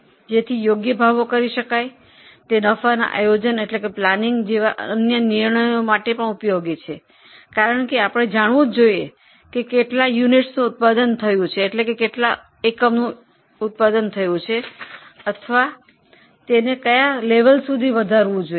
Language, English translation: Gujarati, It is also useful for other decisions like profit planning because entity should know how much units it should produce or up to what level it should extend its service